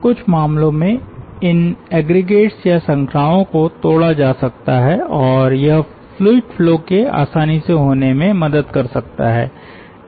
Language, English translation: Hindi, in certain cases these aggregates or chains may be broken and it may help ah the fluid flow to take place ah in a much easier way